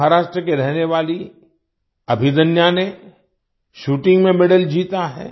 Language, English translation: Hindi, Abhidanya, a resident of Maharashtra, has won a medal in Shooting